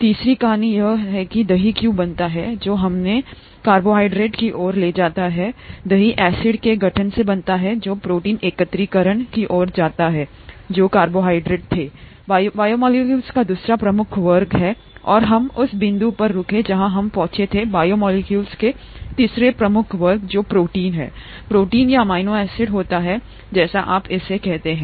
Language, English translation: Hindi, The third story is why curd gets formed which led us to carbohydrates because curd gets formed by acid formation that leads to protein aggregation, what carbohydrates were the second major class of biomolecules and we stopped at the point where we reached the third major class of biomolecules which happens to be proteins, proteins or amino acids as you call it